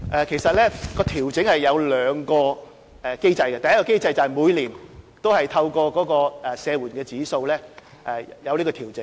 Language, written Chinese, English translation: Cantonese, 其實，調整涉及兩個機制，第一個機制是每年透過社援指數作出調整。, In fact the adjustments involve two mechanisms . The first mechanism is annual adjustment according to SSAIP